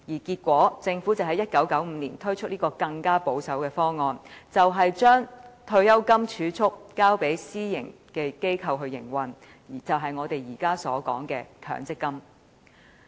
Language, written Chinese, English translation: Cantonese, 結果，政府在1995年推出一個更保守的方案，將退休金儲蓄交予私營機構營運，就是我們現時所說的強積金計劃。, Consequently the Government introduced a more conservative proposal in 1995 entrusting the task of saving retirement funds to private organizations . This is the MPF scheme at present